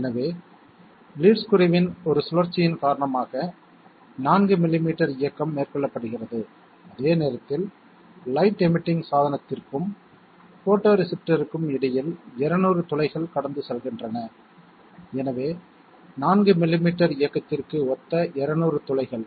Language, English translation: Tamil, So 4 millimetres of movement is being carried out due to one rotation of the lead screw and at the same time, 200 holes are passing in between the light emitting device and photoreceptor, so 200 holes corresponding to 4 millimetres of movement therefore, 1 hole corresponds to 4 millimetres divided by 200